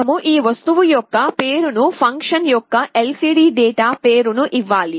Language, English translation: Telugu, We have to give the name of this object lcd dot name of the function this is how you call